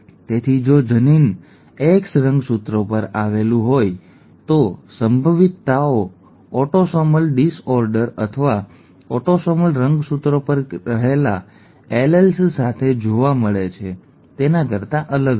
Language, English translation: Gujarati, So if the allele lies on the X chromosome, then the probabilities are going to be different from that we found with autosomal disorders, or the alleles that reside on autosomal chromosomes